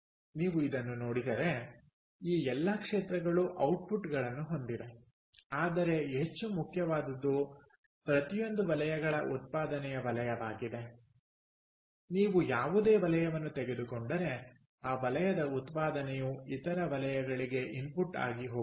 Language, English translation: Kannada, alright, if you look at this, all these sectors have outputs, but what is more important is ah sector of output of all the sectors, each, if you take any sector, the output of that sector goes as input to other sectors